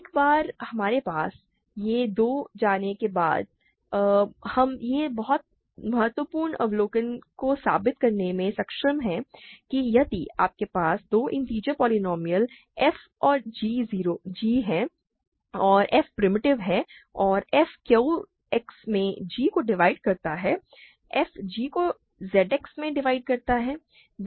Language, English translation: Hindi, Once we have that, we are able to prove this very crucial observation that if you have two integer polynomials f and g, and f is primitive and f divides g in Q X f divides g in Z X